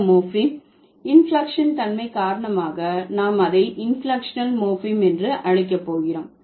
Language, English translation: Tamil, So because of the inflectional status that this morphem has, we are going to call it inflectional morphem, right